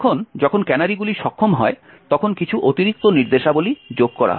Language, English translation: Bengali, Now when canaries are enabled there are a few extra instructions that gets added